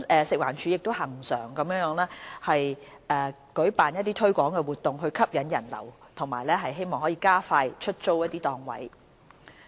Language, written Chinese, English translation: Cantonese, 食環署亦恆常舉辦推廣活動，以吸引人流和加快出租檔位。, FEHD also conducts promotional activities regularly to attract patronage and with a view to promoting the letting of market stalls